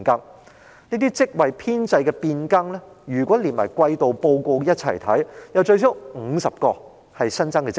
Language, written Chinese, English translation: Cantonese, 若將這些職位編制變更連同上一季度報告一併審視，可發現最少有50個屬新增職位。, If these changes made to the staff establishment of the Force are reviewed together with the last quarterly report we can find that at least 50 of the positions concerned are newly created posts